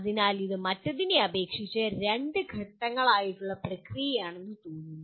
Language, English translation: Malayalam, So this looks like a two step process compared to the other one